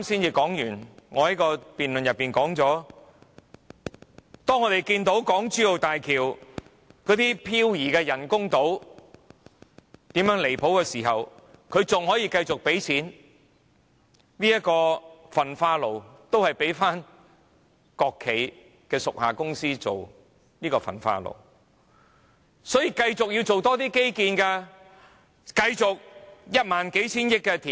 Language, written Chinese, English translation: Cantonese, 我剛在辯論時說過，當我們看到港珠澳大橋那些人工島如何飄移時，政府仍可以繼續付鈔，仍交給國企的屬下公司興建，仍要繼續多做基建，繼續花一萬數千億元填海。, As I mentioned in my previous speech after the interlocking concrete blocks around the artificial island of the Hong Kong - Zhuhai - Macao Bridge have been detected to have drifted away the Government still continues to pay money to the subordinate company of a state - owned enterprise for the construction and it still continues to pursue more infrastructural projects and spend about 1,000 billion in land reclamation